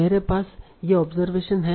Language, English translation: Hindi, I have these observations, right